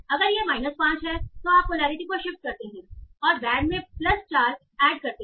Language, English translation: Hindi, So if it is minus 5 you shift the polarity, so you add, say, plus 4 to that